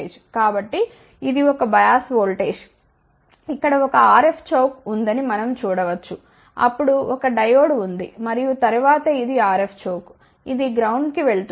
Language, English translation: Telugu, So, that is a bias voltage we can see over here there is a RF choke, then there is a Diode and then this is a RF choke which is going to ground